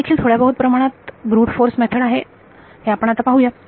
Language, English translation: Marathi, It is also a little bit of a brute force method as we will see